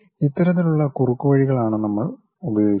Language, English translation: Malayalam, These are the kind of shortcuts what we use